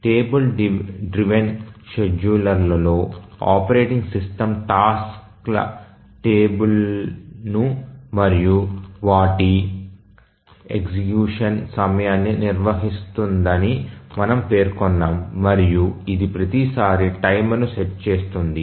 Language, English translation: Telugu, We had mentioned that in the table driven scheduler the operating system maintains a table of the tasks and their time of execution and it sets a timer each time